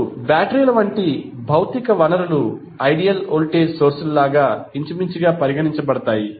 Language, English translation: Telugu, Now, physical sources such as batteries maybe regarded as approximation to the ideal voltage sources